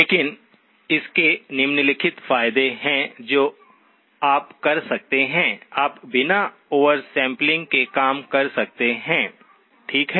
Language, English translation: Hindi, But it does have the following advantages, that you could have, you could work without oversampling, okay